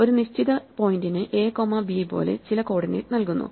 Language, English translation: Malayalam, Therefore, a given point is given some coordinate like a comma b